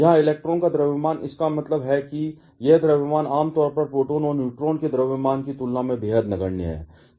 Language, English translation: Hindi, Here, the mass of the electron, that means, this mass is generally, extremely negligible compared to the mass of proton and neutron